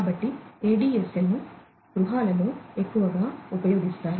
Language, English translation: Telugu, So, ADSL, ADSL is more commonly used in the households